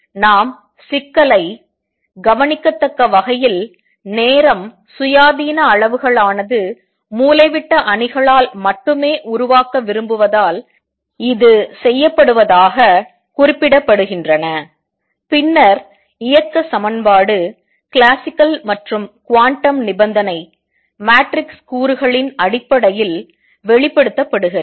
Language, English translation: Tamil, And that is done because we want to formulate problem only in terms of observables time independent quantities are represented by diagonal matrices, then equation of motion is classical and quantum condition expressed in terms of the matrix elements